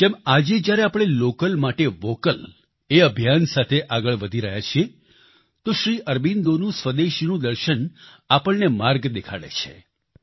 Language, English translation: Gujarati, Just as at present when we are moving forward with the campaign 'Vocal for Local', Sri Aurobindo's philosophy of Swadeshi shows us the path